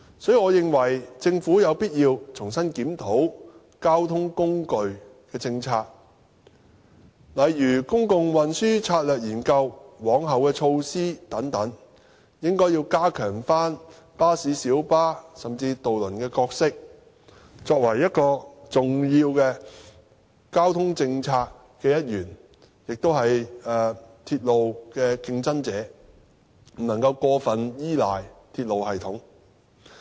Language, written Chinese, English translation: Cantonese, 所以，我認為政府有必要重新檢討交通工具政策，例如研究公共運輸策略及往後措施等，應該重新加強巴士、小巴，甚至渡輪的角色，作為交通政策的重要一員，亦是鐵路的競爭者，不能夠過分依賴鐵路系統。, Therefore it is necessary for the Government to review its transport policy such as studies on public transport strategies and corresponding measures and so on . It should strengthen the role of buses minibuses and even ferries as important players in its transport policy as well as competitors of rail transport . We simply cannot rely too much on the railway system